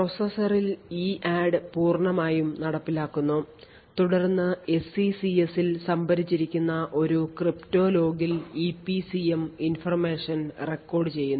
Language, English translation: Malayalam, Then done is that EADD completed implemented in the processor will then record EPCM information in a crypto log that is stored in the SECS